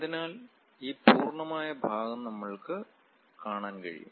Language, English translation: Malayalam, So, we will be in a position to see this complete portion